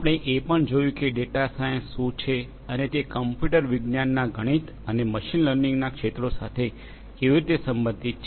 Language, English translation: Gujarati, We have also seen what data sciences and how it relates to fields of computer science mathematics and machine learning